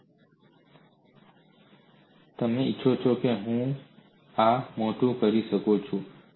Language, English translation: Gujarati, If you want, I can make this big